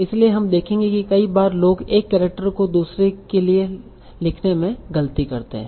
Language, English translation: Hindi, So you will see that many times people make mistakes in typing one character for another